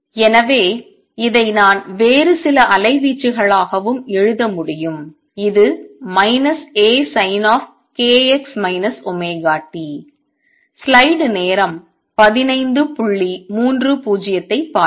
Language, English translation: Tamil, So, this I can also write as some other amplitude which is minus A sin of k x minus omega t